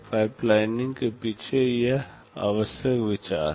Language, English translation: Hindi, This is the essential idea behind pipelining